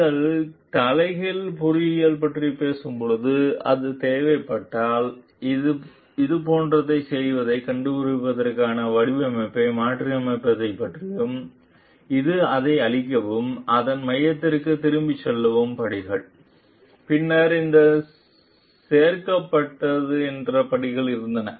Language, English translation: Tamil, When you are talking of reverse engineering, it is about reversing the design to find out doing the like if it requires these are steps to destroy` it and go back to the core of it; then, these were the steps that was added we chose to the core to come back to today s design